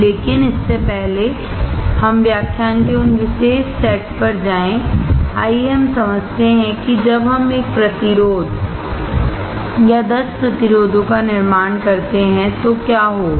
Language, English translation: Hindi, But before we go to those particular set of lectures, let us understand, what will happen when we fabricate 1 resistor or 10 resistors